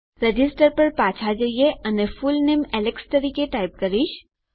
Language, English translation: Gujarati, Lets go back to register and Ill type my fullname as alex